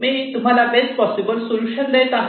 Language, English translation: Marathi, so i am showing the best solutions